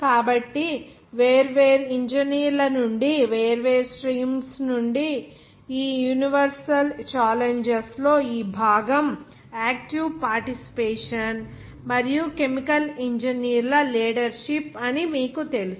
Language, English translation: Telugu, So for those challenges from different engineers, from different streams, but in that case, this part of this universe challenges are you know taken by active participation that is active participation and leadership of chemical engineers